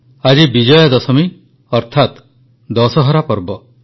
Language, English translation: Odia, Today is the festival of Vijaydashami, that is Dussehra